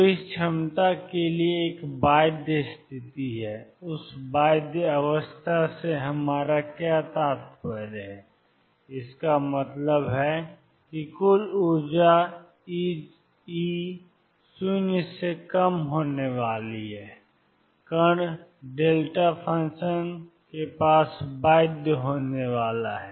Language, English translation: Hindi, So, there is a bound state for this potential; what do we mean by that bound state; that means, total energy E is going to be less than 0 the particle is going to be bound near a delta function